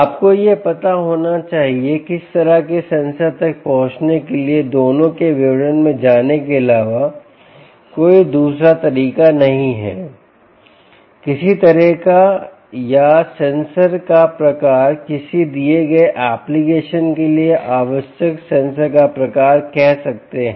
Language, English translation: Hindi, there is no other way except going into the details of both of them in order to arrive at the kind of sensor, kind or type of sensor call it type of sensor required for a given application